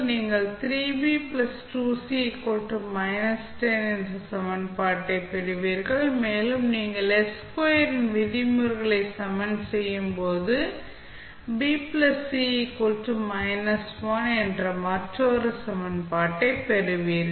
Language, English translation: Tamil, You will get the equation that is 3B plus 2C is equal to minus 10 and when you equate the terms of s square, you will get another equation that is B plus C is equal to minus 1